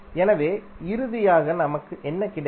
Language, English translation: Tamil, So, finally what we got